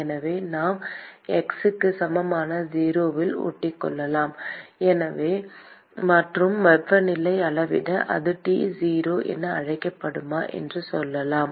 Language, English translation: Tamil, So, we can stick in at x equal to 0; and measure the temperature; and let us say if that is call T 0